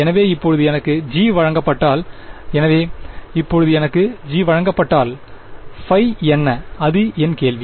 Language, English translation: Tamil, So, now, if I am given g right, so, if I am given now I am given g what is phi that is my question